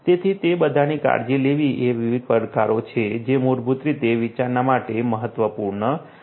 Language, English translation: Gujarati, So, taken care of all of them are different different challenges that basically are important for consideration